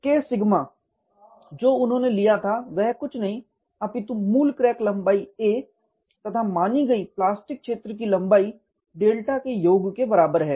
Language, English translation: Hindi, The K sigma what you have taken is nothing but the original crack length a plus the assumed plastic zone length delta